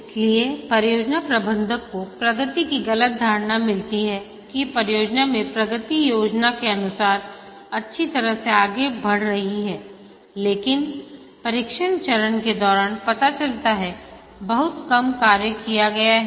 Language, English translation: Hindi, So the project manager gets a false impression of the progress that the progress is the project is proceeding nicely according to the plan but during the testing phase finds out that very little has been done